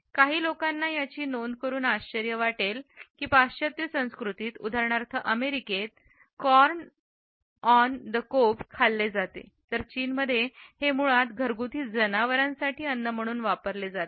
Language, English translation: Marathi, Some people may be surprised to note that in western cultures, for example in America, corn on the cob is eaten whereas in China it is considered basically as a food for domestic animals